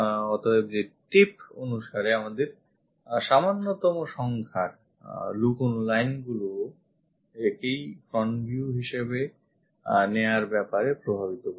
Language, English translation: Bengali, So, by tip, fewest number of hidden lines also determines to pick this front view